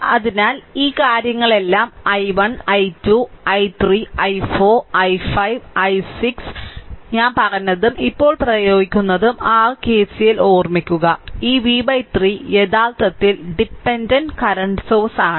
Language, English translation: Malayalam, So, all these things ah i 1 i 2 i 3 i 4 i 5 i 6 all I have told and now apply your KCL remember, this v by 3 actually current dependent current source